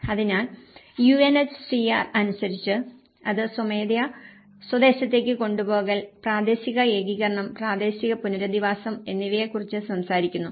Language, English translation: Malayalam, So, as per the UNHCR, it talks about the voluntary repatriation, the local integration and the local resettlement